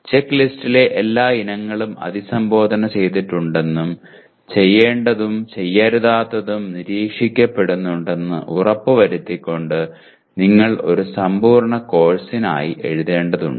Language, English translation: Malayalam, Now you have to write for a complete course making sure that all the items in the checklist are addressed to and do’s and don’ts are also observed